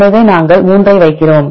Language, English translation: Tamil, So, we put 3